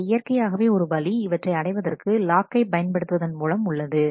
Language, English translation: Tamil, So, naturally one way it could be to do it using locks